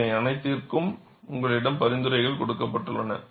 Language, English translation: Tamil, For all these, you have recommendations given